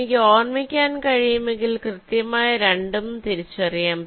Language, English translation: Malayalam, if i remember that, then i can distinguish between the two